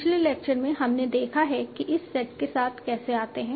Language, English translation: Hindi, In the last lecture we have seen how to come up with this set